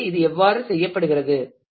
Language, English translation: Tamil, So, this is how it is done